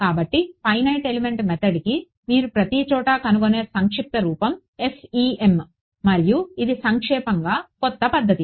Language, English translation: Telugu, So, the short form for finite element method everywhere you will find is FEM and it is a relatively recent method